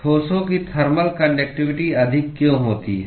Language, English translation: Hindi, Why solid thermal conductivity of solids is high